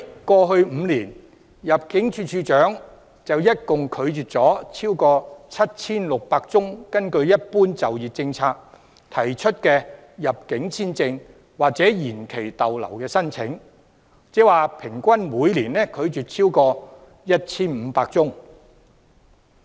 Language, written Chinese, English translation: Cantonese, 過去5年，入境處處長一共拒絕了超過 7,600 宗根據"一般就業政策"提出的入境簽證或延期逗留申請，即平均每年拒絕了超過 1,500 宗申請。, In the past five years the Director of Immigration has rejected more than 7 600 applications for entry visas or extension of stay under the General Employment Policy ie . he has rejected more than 1 500 applications per year on average